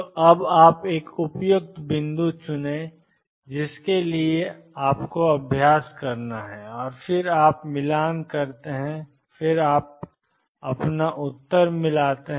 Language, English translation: Hindi, So, you choose a suitable point now for that you have to practice and you then match and then you get your answer